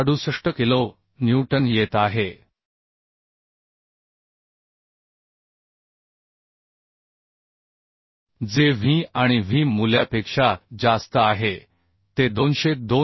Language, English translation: Marathi, 68 kilo newton which is more than the V and V value is coming 202